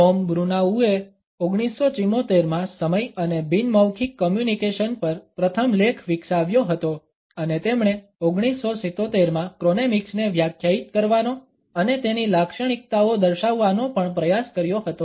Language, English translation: Gujarati, Tom Bruneau developed the first article on time and nonverbal communication in 1974 and he also attempted to define chronemics and outlined its characteristics in 1977